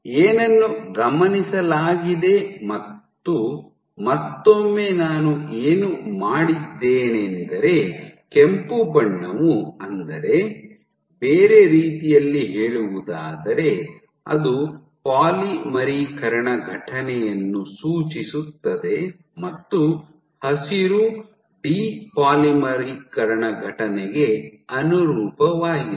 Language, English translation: Kannada, So, what was observed and then once again, what I have done red corresponds to intensity increase in other words it signifies the polymerization event and green corresponds to a de polymerization event